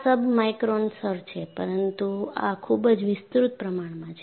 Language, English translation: Gujarati, So, this is submicron level, but this is highly magnified